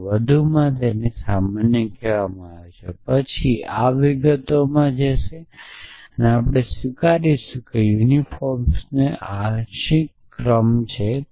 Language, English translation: Gujarati, So, this is called more general then this go in to details we will accept that there is a partial order of unifiers